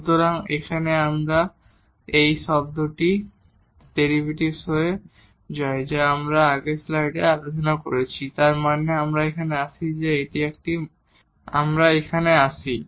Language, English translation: Bengali, So, this term here becomes the derivative which we have discussed in the previous slide so; that means, we get here let me erase this ok